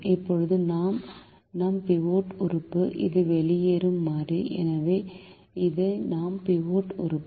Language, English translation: Tamil, now this is our pivot element, this is the leaving variable, for this is our pivot element